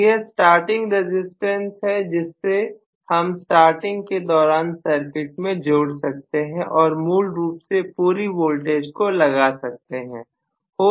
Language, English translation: Hindi, So, this is the starting resistance, which I include only during starting and I am going to essentially apply the full voltage